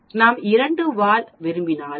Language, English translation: Tamil, If we want two tail then, I multiply 0